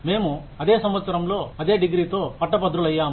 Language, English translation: Telugu, We graduated with the same degree, in the same year